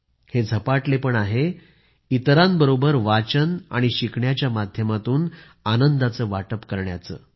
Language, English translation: Marathi, This is the passion of sharing the joys of reading and writing with others